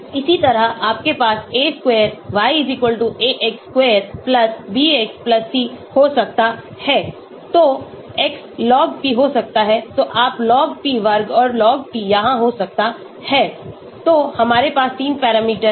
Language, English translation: Hindi, Similarly, you can have a square y=ax square+bx+c, so x could be Log P so you could be having Log P square and Log P here so we have 3 parameters